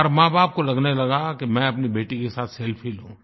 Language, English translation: Hindi, Every parent started feeling that they should take a selfie with their daughter